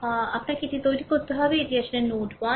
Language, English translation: Bengali, Ah you have to make it ah this is actually node 1